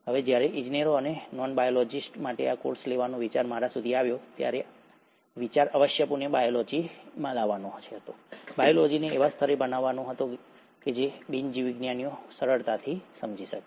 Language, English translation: Gujarati, Now when this idea of taking this course for engineers and non biologists was brought up to me, the idea was to essentially bring in biology, teaching biology at a level which will be easily taken up by the non biologists